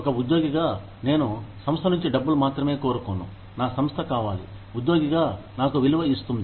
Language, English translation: Telugu, As an employee, I do not only want money, from the organization, I want my organization, to value me, as an employee